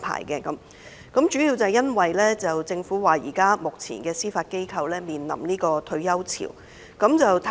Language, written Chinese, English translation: Cantonese, 這主要是因為政府指目前司法機構正面臨"退休潮"。, According to the Government this is mainly due to the imminent wave of retirement faced by the Judiciary